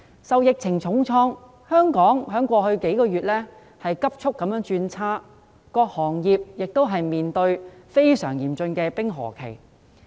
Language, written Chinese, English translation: Cantonese, 受疫情重創，香港經濟在過去數月急速轉差，各行各業亦面對非常嚴峻的冰河期。, Hong Kongs economy has suffered a heavy blow from the epidemic and has taken a sharp turn for the worse over the past few months . Various sectors have entered a very severe ice age